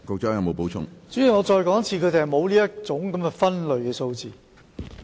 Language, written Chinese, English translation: Cantonese, 主席，我再說一次，他們沒有這項分類數字。, President let me say it again . They do not have such a breakdown